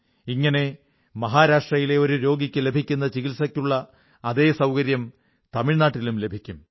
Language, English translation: Malayalam, Similarly, if a deprived person from Maharashtra is in need of medical treatment then he would get the same treatment facility in Tamil Nadu